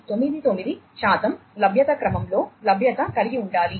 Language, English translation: Telugu, 9999 percent availability, right